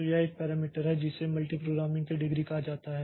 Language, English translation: Hindi, So, there is a parameter called degree of multi programming